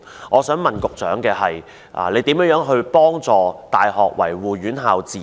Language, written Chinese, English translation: Cantonese, 我想問，局長如何協助大學維護院校自主？, My question is How will the Secretary help universities maintain their autonomy?